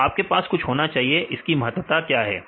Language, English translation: Hindi, So, you got something; so, what is the importance